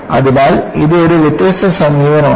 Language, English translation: Malayalam, So, this is a different approach